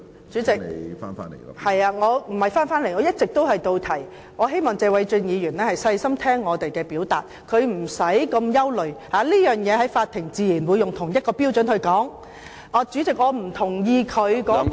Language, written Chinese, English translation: Cantonese, 主席，我的發言一直貼題，我希望謝偉俊議員細心聽我表述，他無須那麼憂慮，法庭自然會以同一個標準判斷這事，主席，我不同意他所謂......, I hope that Mr Paul TSE will listen to my remarks carefully . He needs not worry so much as the Court will judge the case by the same criteria . President I disagree to what he said about the so - called